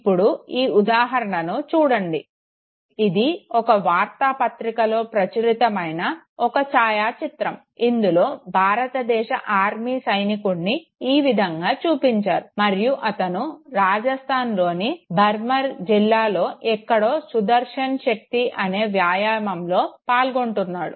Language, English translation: Telugu, Now look at this very example, this is you know a photograph published in a newspaper where an Indian Army soldier is shown in a camouflage and he is basically taking part in an exercise Sudarshan Shakthi in somewhere in Barmer district in Rajasthan okay